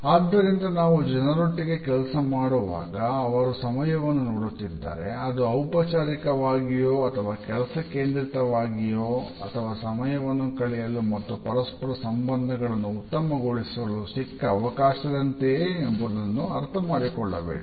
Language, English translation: Kannada, So, we have to understand whether the people with whom we work, look at time in a formal and task oriented fashion or do they look at time as an opportunity to a spend time and develop interpersonal relationships